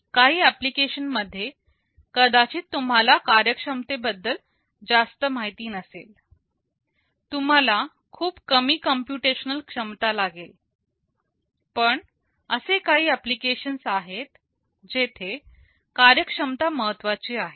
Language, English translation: Marathi, For some application you are may not be that much aware about the performance, you need very little computational capability, but there are some applications where performance is important